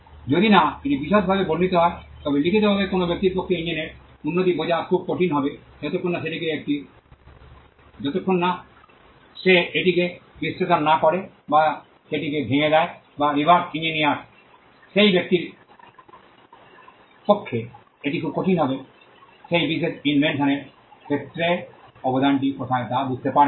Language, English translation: Bengali, Unless it is described in detail, in writing it will be very hard for a person to understand the improvement in the engine, unless he analyzes it, or he breaks it down, or a reverse engineers, it will be very hard for that person to understand where the contribution is with regard to that particular invention